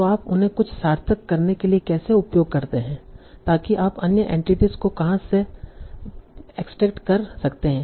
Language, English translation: Hindi, So how do you use them for doing something meaningful so that you can extract various other entities